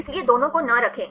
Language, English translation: Hindi, So, do not keep both